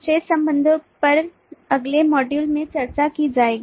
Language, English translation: Hindi, the remaining relationships will be discussed in the next module